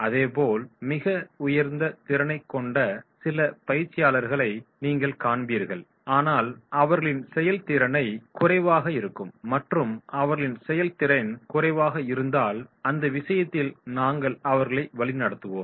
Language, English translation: Tamil, Similarly, you will find certain trainees who are having very high potential but their performance is low and if their performance is low then in that case we have to give them direction